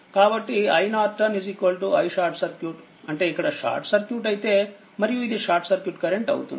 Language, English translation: Telugu, So, i Norton i SC means if you short circuit it and if this is your short circuit current